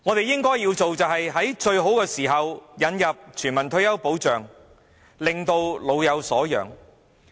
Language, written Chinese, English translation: Cantonese, 應做的是在最好的時候引入全民退休保障，令老有所養。, It ought to introduce universal retirement protection at the right time to ensure that the elderly are duly provided for